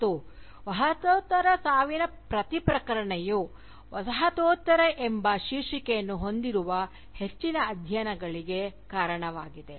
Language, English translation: Kannada, And, each announcement of the death of Postcolonialism, has led to a greater profusion of studies, bearing the title, Postcolonialism